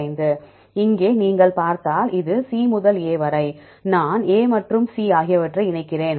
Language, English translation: Tamil, 5 if you see here this is C to A, I combine A and C